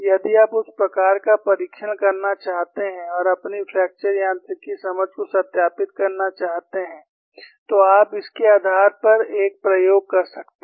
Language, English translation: Hindi, If you want to perform that kind of test and verify your fracture mechanics understanding, you could device an experiment based on this